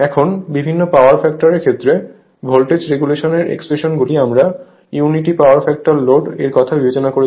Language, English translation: Bengali, Now, then another one is now, for voltage regulation expression for different power factor say case 1 we considered unity power factor load